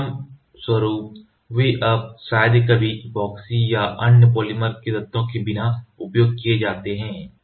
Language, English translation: Hindi, As a result they are rarely used now without epoxy or other photopolymer elements